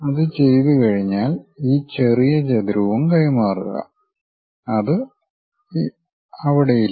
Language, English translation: Malayalam, Once done, transfer this small rectangle also, which is not there